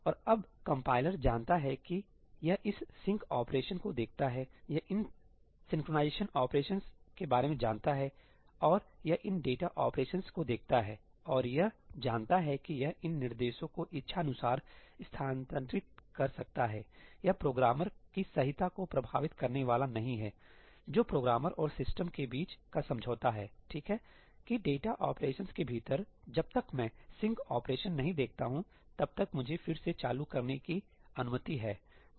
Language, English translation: Hindi, And now the compiler knows that, it sees this sync operation, it is aware of these synchronization operations, and it sees these data operations and it knows that it can move these instructions around as it wishes; it is not going to impact the correctness of the program that is the agreement between the programmer and the system, okay, that within the data operations, I am allowed to reorder as I wish as long as I do not see a sync operation